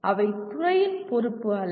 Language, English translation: Tamil, They are not the responsibility of the department